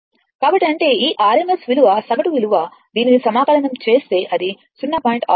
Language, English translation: Telugu, So; that means, this rms value average value will be if you if you integrate this it will become 0